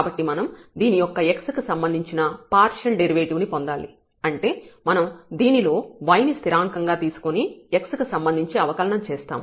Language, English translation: Telugu, So, we need to get the partial derivative of this with respect to x; that means, we will be differentiating this with respect to x treating y is constant